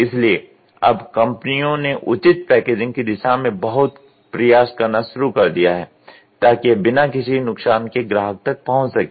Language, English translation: Hindi, So, now, companies have started putting lot of efforts in doing proper packaging such that it reaches the customer without any damage